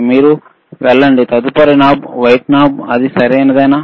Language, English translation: Telugu, Can you please go to the next knob white that is it right